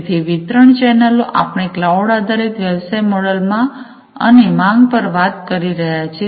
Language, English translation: Gujarati, So, distribution channels typically, we are talking about in a cloud based business model, we are talking about on demand